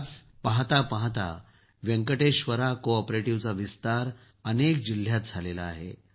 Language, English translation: Marathi, Today Venkateshwara CoOperative has expanded to many districts in no time